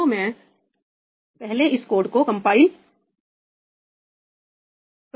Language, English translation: Hindi, So, first I have to compile this code